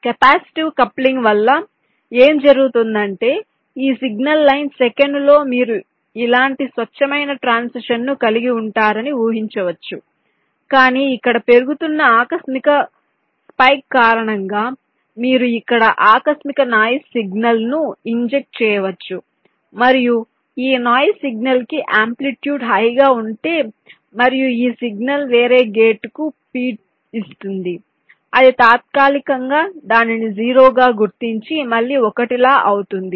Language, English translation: Telugu, so what might happen is that in this signal line, second one, your expectative, have a clean transition like this, but because of this rising, sudden spike here you can encounter a sudden noise signal injected here like this: and if this noise signal is sufficiently high in amplitude and this signal is feeding some other gate, so it might temporarily recognize it as a zero, and then again one like that, so that might lead to a timing error and some error in calculation